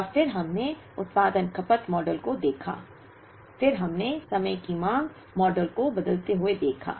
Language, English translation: Hindi, And then we looked at production consumption models, then we looked at time varying demand models